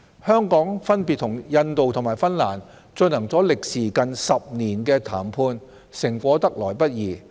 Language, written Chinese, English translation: Cantonese, 香港分別與印度和芬蘭進行了歷時近10年的談判，成果得來不易。, Hong Kong had been negotiating with India and Finland for nearly 10 years and the outcome has not come by easily